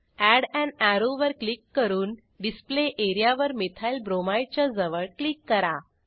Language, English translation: Marathi, Click on Add an arrow, click on Display area beside Methylbromide